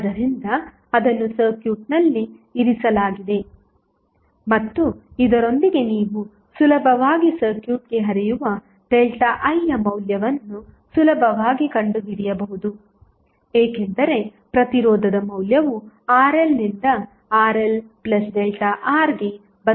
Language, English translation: Kannada, So, that is kept in the circuit and with this the arraignment you can easily find out the value of delta I which is flowing into the circuit because of the value of the resistance changes from Rl to delta R, Rl to Rl plus delta R